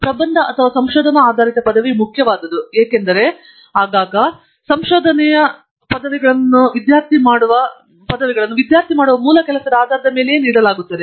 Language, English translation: Kannada, thesis or a research based degree is important, because very often the research degrees are given based upon original work that is done by the student